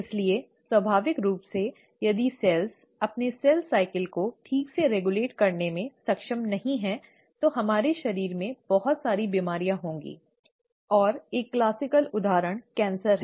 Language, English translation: Hindi, So naturally, if the cells are not able to regulate their cell cycle properly, we will have a lot of diseases happening in our body and one classic example is ‘cancer’